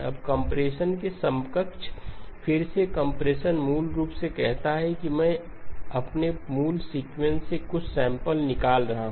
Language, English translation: Hindi, Now the counterpart of compression, again compression basically says I am throwing away some samples from my original sequence